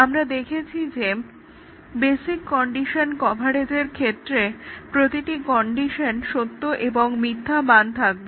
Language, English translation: Bengali, We had seen that the basic condition coverage is the one, where each of the component condition should assume true and false values